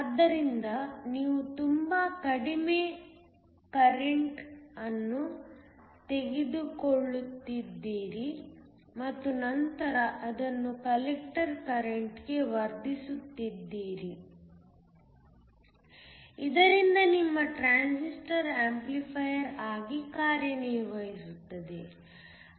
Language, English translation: Kannada, So, you are taking a very small current and then amplifying it into the collector current so that your transistor works as an amplifier